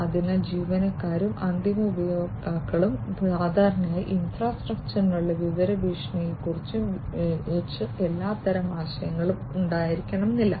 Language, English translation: Malayalam, So, employees and the users, end users in fact, typically do not have all types of idea about the information threats, threats to the infrastructure and so on